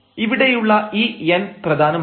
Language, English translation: Malayalam, So, this is important this n here